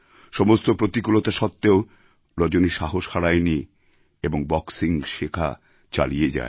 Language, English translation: Bengali, Despite so many hurdles, Rajani did not lose heart & went ahead with her training in boxing